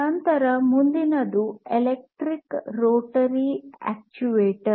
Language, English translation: Kannada, Then the next one is electric rotary actuator